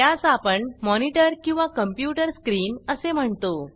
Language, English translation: Marathi, This is a monitor or the computer screen, as we call it